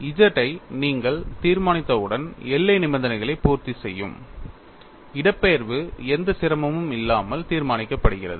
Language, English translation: Tamil, So, in this case, the displacement is known; once you decide z which satisfies the boundary conditions, displacement is determined without any difficulty